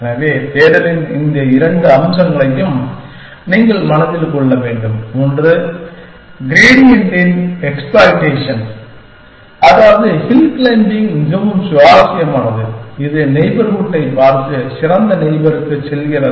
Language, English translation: Tamil, So, you must keep in mind this two aspects of search, one is exploitation of the gradient, which is, what hill climbing does very interesting, that it just looks at the neighborhood and goes to the best neighbor